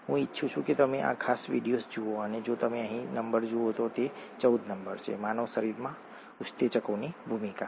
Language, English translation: Gujarati, I would like you to watch this particular video if you look at the number here, it is number 14, role of enzymes in the human body